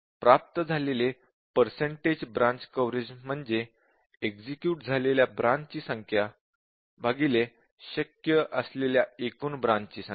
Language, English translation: Marathi, So, the percent is a branch coverage achieved we can write is number of executed branches divided by the total number of branches possible